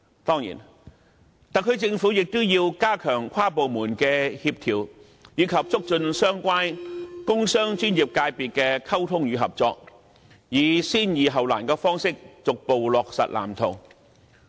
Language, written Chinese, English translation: Cantonese, 當然，特區政府亦要加強跨部門協調，以及促進相關工商專業界別的溝通與合作，以先易後難的方式，逐步落實《藍圖》。, Certainly the SAR Government should also enhance inter - departmental coordination and promote the communication and cooperation among the relevant industrial commercial and professional sectors progressively implementing the Blueprint starting with the easier part